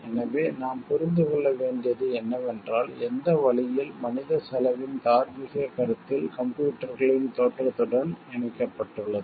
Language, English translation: Tamil, So, what we have to understand is the way the moral considerations of human cost attach to the emergence of computers